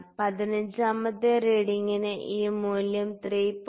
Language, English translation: Malayalam, So, for the 15th reading again this value is 3